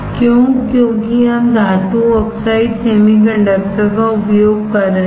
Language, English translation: Hindi, Why, because we are using metal oxide semiconductor